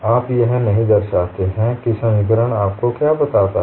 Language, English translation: Hindi, And we would observe how the equations look like